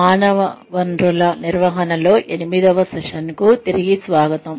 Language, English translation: Telugu, Welcome back, to the eighth session in, Human Resources Management